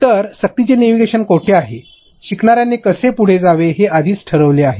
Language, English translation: Marathi, So, forced navigation is where (Refer Time: 16:08) pre decided how the learner should proceed